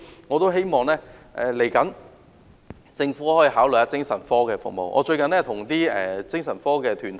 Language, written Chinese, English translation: Cantonese, 我希望政府考慮公私營合作的精神科服務。, I hope that the Government will consider public - private partnership in psychiatric services